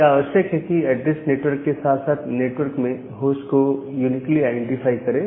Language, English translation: Hindi, So, it need to identify the network as well as the host inside the network uniquely